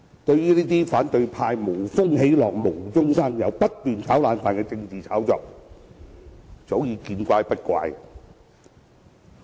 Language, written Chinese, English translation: Cantonese, 對於反對派這些無風起浪、無中生有及不斷"炒冷飯"的政治炒作，早已見怪不怪。, I am no longer surprised by the opposition camps political hype stirring up trouble for nothing and keeps harping on the same thing